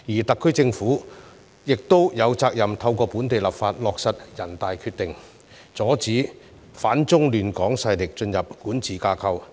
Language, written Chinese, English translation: Cantonese, 特區政府亦有責任透過本地立法落實全國人民代表大會的《決定》，阻止反中亂港勢力進入管治架構。, The SAR Government is also duty - bound to implement the Decision of the National Peoples Congress NPC through local legislation in order to stop anti - China forcesfrom entering the governing structure